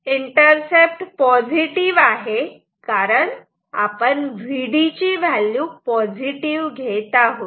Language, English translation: Marathi, So, the intercept is positive because this value is positive assuming V dp is positive ok